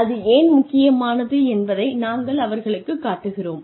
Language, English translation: Tamil, We show them, why it is important